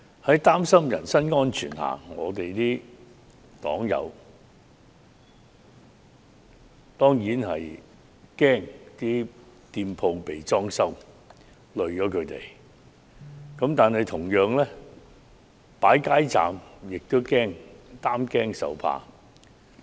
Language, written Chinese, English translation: Cantonese, 在擔心人身安全的情況下，我的黨友當然害怕會連累人家的店鋪被"裝修"了，但同樣地，擺設街站也要擔驚受怕。, Our candidates are concerned about the personal safety of the owners . They do not want to see their restaurants or shops to be vandalized . Similarly setting up street booths is equally horrifying